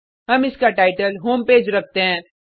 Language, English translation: Hindi, We keep the title as Home Page